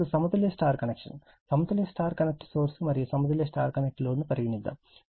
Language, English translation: Telugu, Now, balanced star connection; balanced star connected source and balanced star connected load